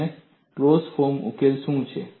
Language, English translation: Gujarati, And what is the closed form solution